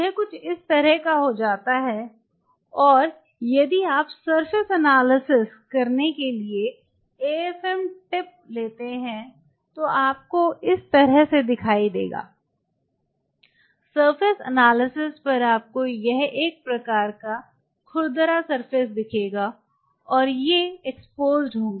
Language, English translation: Hindi, It something become like this and if you take the AFM tip to do a surface analysis then what you will see something like this, it is a very kind of you know rough surface, upon surface analysis and they are exposed